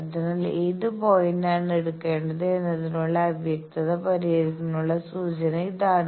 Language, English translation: Malayalam, So, that is the clue to resolve this ambiguity that which point to take